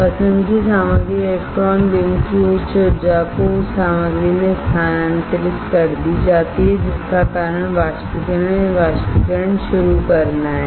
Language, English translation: Hindi, Material of interest the high energy of electron beam is transferred to the material which causes is to start evaporation or evaporating